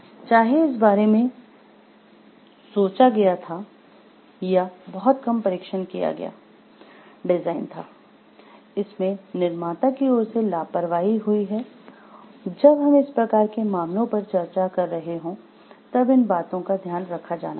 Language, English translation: Hindi, Whether these were thought of or it was a very short sighted design, negligence on the part of the manufacturer, these needs to be taken care of when we are discussing these type of cases